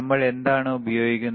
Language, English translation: Malayalam, What are we using